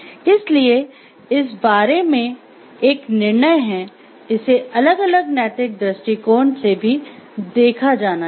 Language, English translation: Hindi, So, there is a decision about this is a, it needs to be looked into like from different moral perspectives also